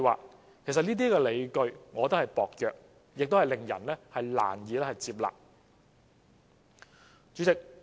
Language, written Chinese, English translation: Cantonese, 我覺得其實這些理據薄弱，亦令人難以接納。, I hold that these justifications are weak and unconvincing